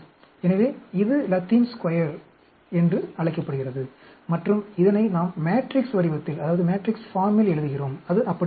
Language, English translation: Tamil, So, this is called the Latin Square and this is, we are writing down in the matrix form, it will be that